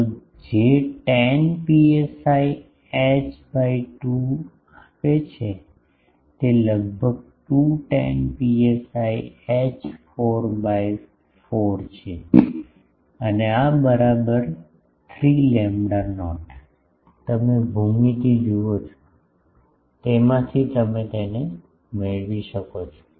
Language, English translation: Gujarati, So, that gives tan psi h by 2 is almost 2 tan psi h 4 by 4 and this is equal to 3 lambda not, you see the geometry from that you can derive it